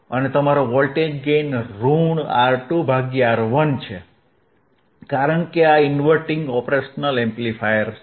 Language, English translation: Gujarati, And your voltage gain is minus R 2 by R 1, because this is inverting op amp